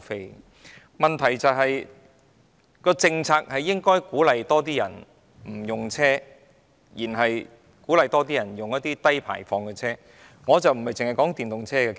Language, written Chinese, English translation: Cantonese, 不過，問題是，政策應鼓勵更多市民使用低排放車輛甚或不使用車輛。, But the point I am driving at is that the policy should encourage more people to use low - emission vehicles or simply refrain from using any vehicles